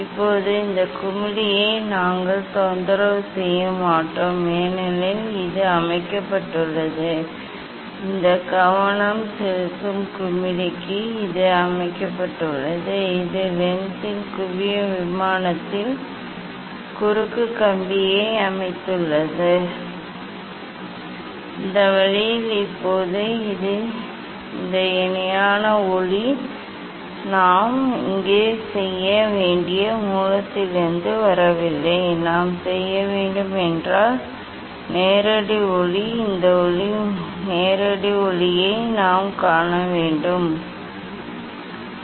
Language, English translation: Tamil, now, we will not disturb this knob, because this is set; this is set for this focusing knob, we have set the cross wire at the focal plane of this lens ok, in this way Now, this parallel light is not coming from the source we have to make so here, we have to; we have to see this now, direct light we have to see this direct light and since it is not this source is not at infinity, but not at very distant place